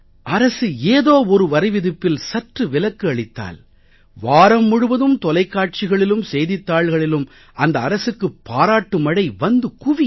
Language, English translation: Tamil, If the government gives even a small concession on tax or exemption from tax, then for a whole week we hear praise for that government being splashed on TV channels and in newspapers